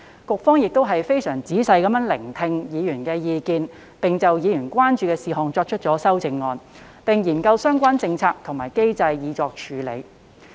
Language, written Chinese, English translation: Cantonese, 局方非常仔細聆聽委員的意見，就委員關注的事項提出修正案，並研究相關政策及機制以作處理。, After listening to members views very carefully the Administration has proposed amendments to address their concerns and explored relevant policies and mechanism to handle the issues